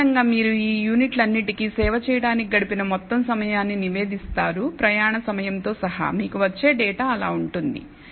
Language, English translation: Telugu, Typically you will report the total time spent in in servicing all of these units including travel time and so on that is the kind of data that you might get